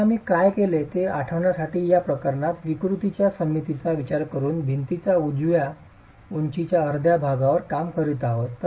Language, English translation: Marathi, Again to recall what we have done we have actually in this case considering the symmetry of deformations been working on one half of the height of the wall